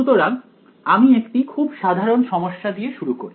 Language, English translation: Bengali, So, let us take a very general problem over here